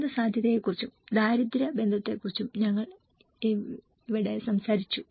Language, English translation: Malayalam, And where we talked about the disaster risk and poverty nexus